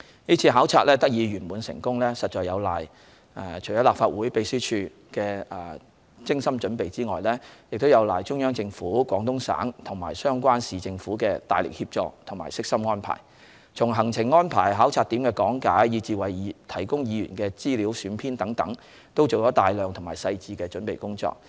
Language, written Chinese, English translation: Cantonese, 是次考察得以圓滿成功，除有賴立法會秘書處的精心準備外，亦有賴中央政府、廣東省及相關市政府的大力協助和悉心安排，從行程安排、考察點的講解，以至為議員提供的資料選編等，都做了大量細致的準備工作。, The smooth and successful conclusion of the duty visit this time around can be attributed to not only the thoughtful preparations of the Legislative Council Secretariat but also the immense assistance and well - thought - out arrangements on the part of the Central Government the Guangdong Province and also the relevant Municipal Government . They undertook a great deal of comprehensive preparations ranging from the drawing up of the visit programme and briefing materials on the places to visit to the selection of information materials for Honourable Members